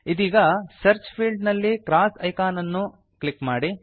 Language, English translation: Kannada, Now, in the Search field, click the cross icon